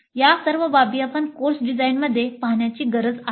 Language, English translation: Marathi, So we need to look at all these issues in the course design